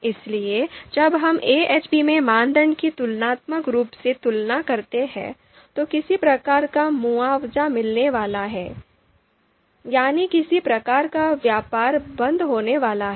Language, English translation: Hindi, So when we do pairwise comparisons of criteria in AHP so see there is going to be some sort of compensation, some sort of trade off is going to take place over there